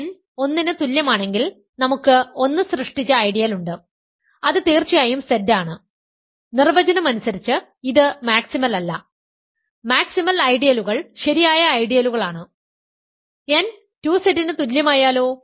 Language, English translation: Malayalam, So, it is not maximal now suppose on the other hand just some initial examples; n equal to 1 then we have the ideal generated by 1 which is Z of course, by definition this is not maximal, maximal ideals are proper ideals, what about n equal to 2 Z